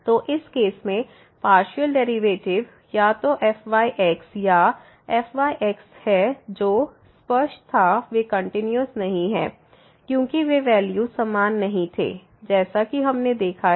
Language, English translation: Hindi, So, in this case the partial derivatives either or they are not continuous which was clear because those values were not same as we have observed